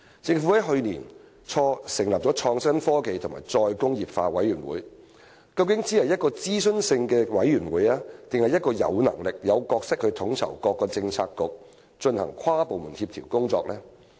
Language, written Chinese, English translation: Cantonese, 政府於去年初成立的創新、科技及再工業化委員會，究竟只是一個諮詢性質的委員會，還是一個有能力、有角色去統籌各個政策局進行跨部門協調工作的委員會？, Early last year the Government established the Committee on Innovation Technology and Re - industrialization . Is it only an advisory committee or is it a committee with the ability and role to coordinate interdepartmental efforts among Policy Bureaux?